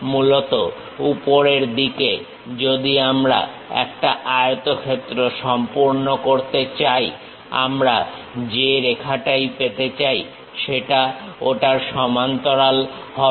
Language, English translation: Bengali, On the top side is basically, if I am going to complete a rectangle whatever that line we are going to have parallel to that